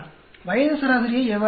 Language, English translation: Tamil, How do you get the age average